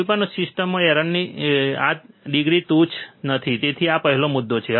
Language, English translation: Gujarati, This degree of error is not trivial in any system so, this is first point